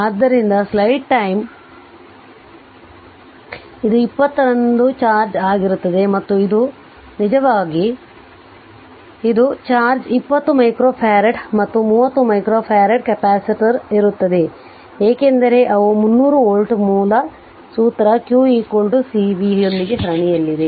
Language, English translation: Kannada, Therefore this is that your what you call this is the charge on 20 and your this is actually there will be an is right this is the charge and 20 micro farad and 30 micro farad capacitor, because they are in series with the 300 volt source therefore, we know q is equal to cv from the formula